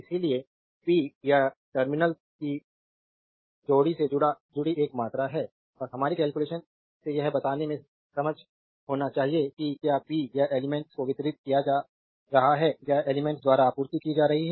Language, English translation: Hindi, Therefore, power is a quantity associated with the pair of terminals and we have to be able to tell from our calculation whether power is being delivered to the element or supplied by the element